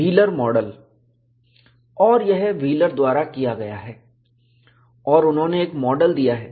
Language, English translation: Hindi, And this is done by Wheeler and he has given a model